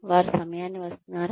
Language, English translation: Telugu, Are they coming on time